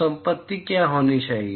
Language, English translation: Hindi, So, what should be the property